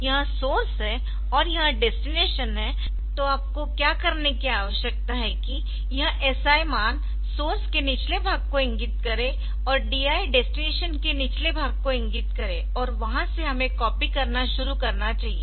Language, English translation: Hindi, So, this is the source and this is the destination then what you need to do is that this SI value SI value should point to the bottom of the source and DI should point to the bottom of the destination and from there we should start copying